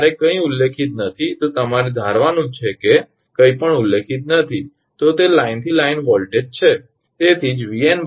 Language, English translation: Gujarati, Because as it is not mentioned in the problem you have to assume that is they are line to line voltage